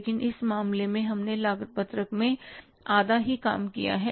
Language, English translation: Hindi, But in this case, we have done half of the work in the cost sheet